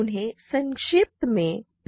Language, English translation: Hindi, So, they are referred to in short as PIDs